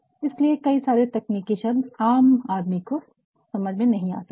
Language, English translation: Hindi, So, there may be several technical terms which a layman like me will not understand